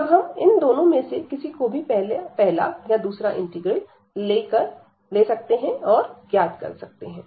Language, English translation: Hindi, And then either we can take the first integral or the second one to compute